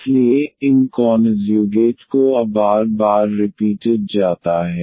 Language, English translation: Hindi, So, these conjugates are repeated r times now